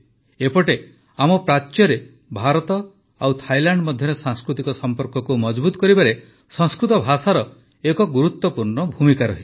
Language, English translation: Odia, Sanskrit language also plays an important role in the strengthening of cultural relations between India and Ireland and between India and Thailand here in the east